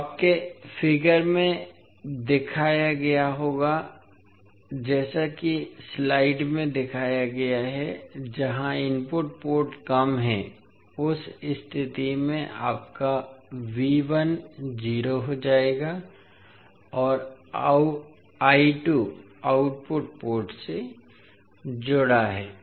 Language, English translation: Hindi, So your figure will look like as shown in the slide where the input port is short circuited in that case your V 1 will become 0 and I 2 is connected to the output port